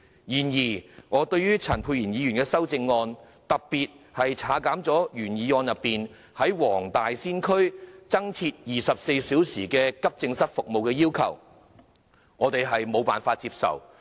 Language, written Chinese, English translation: Cantonese, 然而，對於陳沛然議員的修正案，特別是他刪除了原議案中"在黃大仙區設立24小時急症室服務"的要求，我們無法接受。, Nevertheless the amendment proposed by Dr Pierre CHAN particularly his call for deleting the request made in the original motion for introducing 24 - hour accident and emergency services in the Wong Tai Sin district is unacceptable to us